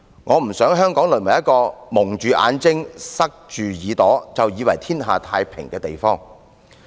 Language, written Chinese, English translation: Cantonese, 我不想香港淪為"蒙着眼睛，塞着耳朵，便以為天下太平"的地方。, I do not wish to see Hong Kong become a place where we pretend there is harmony in society by keeping our eyes and ears closed